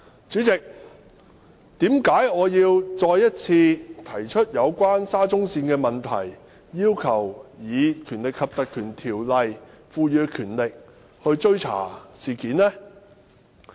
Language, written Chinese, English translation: Cantonese, 主席，為甚麼我要再次提出有關沙中線的問題，要求根據《條例》賦予的權力來追查事件？, President why do I have to bring up the subject of SCL again and request an investigation into this incident with the power of the Ordinance?